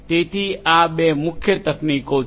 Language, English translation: Gujarati, So, these are the two main techniques